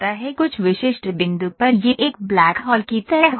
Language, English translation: Hindi, At some specific point it is like a black hole